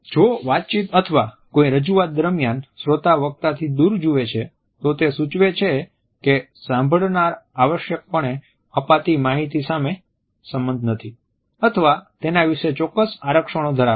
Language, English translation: Gujarati, If the listener looks away from the speaker during the talk or presentation, it suggest that the listener does not necessarily agree with the content or has certain reservations about it